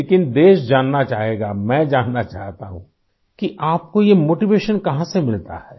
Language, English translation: Hindi, But the country would like to know, I want to know where do you get this motivation from